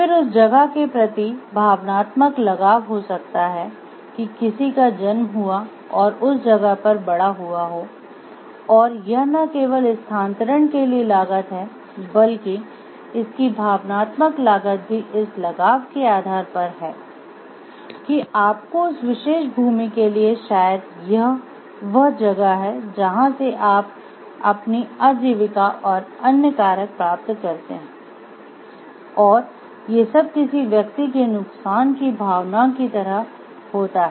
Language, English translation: Hindi, Then there is an emotional attachment to the place maybe somebody’s born and brought up in that place and it is its not only the cost for shifting, but it has an emotional cost also based on the attachment that you have to that particular land and maybe it is from where you get your livelihood and other factors and then there may be a sense of like a loss of for the person